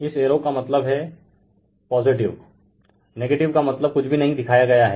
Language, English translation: Hindi, This arrow means positive nothing is shown means negative right